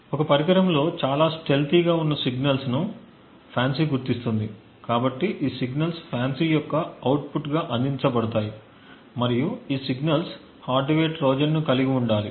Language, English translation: Telugu, FANCI identifies signals in a device which are highly stealthy, so these signals are provided as the output of FANCI and it is these signals which should potentially hold a hardware Trojan